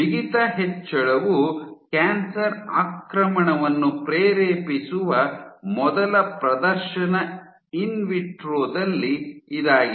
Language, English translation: Kannada, So, this was the first demonstration in vitro that increase in stiffness can induce cancer invasion